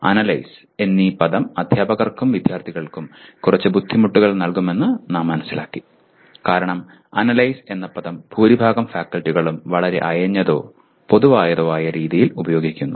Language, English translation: Malayalam, And we also realized the word Analyze is going to provide rather give some difficulty to the teachers as well as the students because the word Analyze is used in a very loose or commonsensical way by majority of the faculty